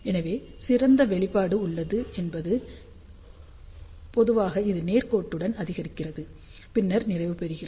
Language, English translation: Tamil, So, the ideal response is generally it increases linearly and then saturates